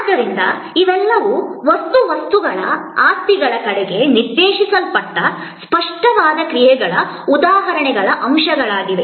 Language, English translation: Kannada, So, these are all elements of an examples of tangible actions directed towards material objects possessions